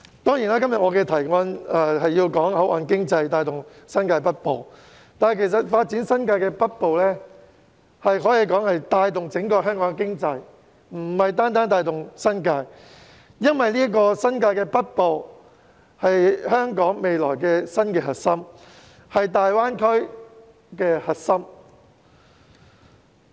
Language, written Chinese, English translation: Cantonese, 我今天的議案雖說是討論以口岸經濟帶動新界北部發展，但發展新界北部其實可帶動整個香港的經濟，而不是單單帶動新界，因為新界北部是未來香港的新核心、大灣區的核心。, My motion today is about driving the development of the northern New Territories with port economy . However this development can indeed drive the economic development of the entire Hong Kong rather than merely the New Territories . That is because the northern New Territories will become the new core region of Hong Kong and the Greater Bay Area GBA